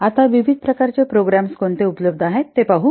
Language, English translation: Marathi, Now let's see what are the different types of programs available